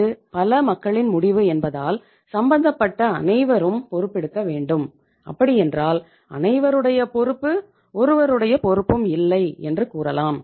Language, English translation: Tamil, Because itís a multi people decision again so it means everybody has to take the responsibility and in that case everybodyís responsibility is nobodyís responsibility